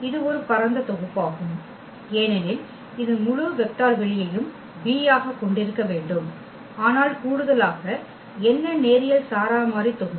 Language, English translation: Tamil, So, the simple definition it is a spanning set because it should span the whole vector space V, but what is in addition that the linearly independent set